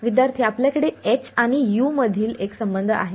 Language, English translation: Marathi, We have a relation between h and u